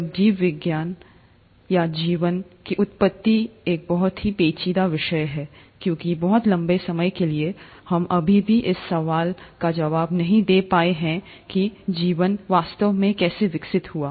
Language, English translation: Hindi, Now, life, or origin of life is a very intriguing topic because for a very long time, we still haven't been able to answer the question as to how life really evolved